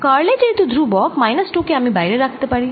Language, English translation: Bengali, since curl of a is constant, i can take this out from minus two